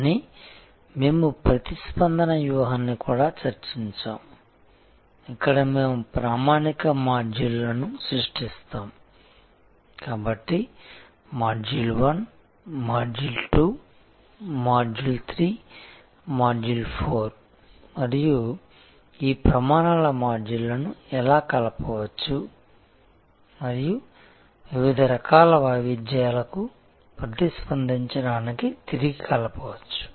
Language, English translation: Telugu, But, we had also discussed the response strategy, where we create standard modules, so module 1, module 2, module 3, module 4 and how these modules of standards can be combined and recombined to respond to different types of variability